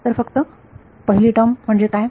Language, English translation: Marathi, So, what is the first term simply to